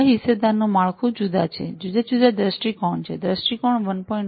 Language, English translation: Gujarati, These stakeholders have different framework sorry have different viewpoints, viewpoint 1